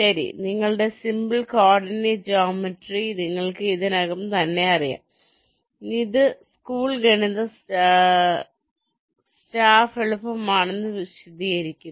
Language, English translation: Malayalam, well, you can you simple coordinate geometry, for that you already know this is means school math staff